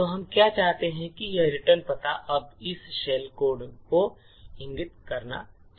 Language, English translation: Hindi, So, what we want is that this return address should now point to this shell code